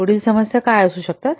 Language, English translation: Marathi, What could the following problems